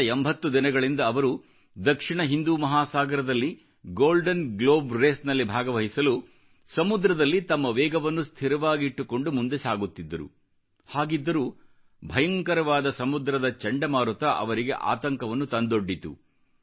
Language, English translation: Kannada, For the last 80 days, he was moving ahead in South Indian Ocean to participate in the Golden Globe Race maintaining his speed but suddenly a severe cyclonic storm landed him in trouble